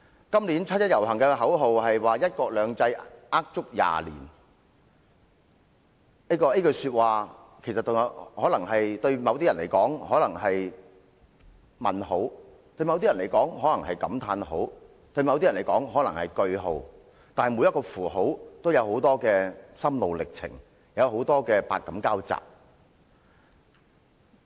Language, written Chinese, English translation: Cantonese, 今年七一遊行的口號是"一國兩制呃足廿年"，這句話對某些人而言可能是問號，對某些人而言可能是感嘆號，對某些人而言可能是句號，但每個符號均牽涉很多心路歷程，百感交集。, As regards the slogan for the 1 July march this year one country two systems a lie for 20 years it ends with a question mark an exclamation mark or a full stop for different persons . That said each punctuation mark invariably involves a great deal of mixed emotional experience